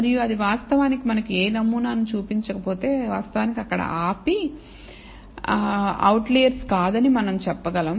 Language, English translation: Telugu, And if that actually shows no pattern we can actually stop there we can say that are no outliers